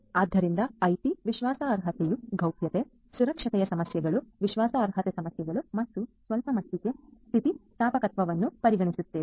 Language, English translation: Kannada, So, IT trustworthiness will take into consideration issues of privacy, issues of security, issues of reliability and to some extent resilience